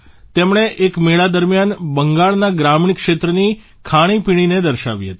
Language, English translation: Gujarati, He had showcased the food of rural areas of Bengal during a fair